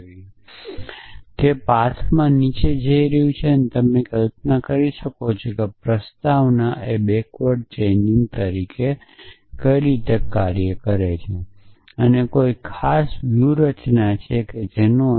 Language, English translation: Gujarati, So, it is going down that path so you can visualize what prolog is doing as backward chaining and with a particular strategy which is depth first